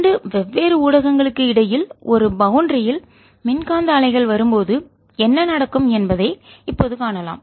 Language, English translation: Tamil, in this lecture is what happens when electromagnetic waves come at a boundary between two different medium